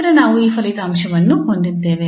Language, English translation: Kannada, We have these results